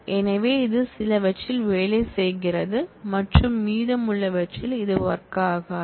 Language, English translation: Tamil, And so, it works in some and it does not work in the rest